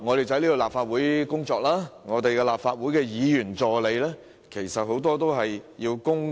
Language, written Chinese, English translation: Cantonese, 在立法會工作的議員助理，也需要作出強積金供款。, Members assistants who are working at the Legislative Council are also required to make MPF contributions